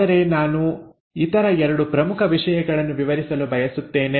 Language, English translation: Kannada, But, I want to cover 2 other important things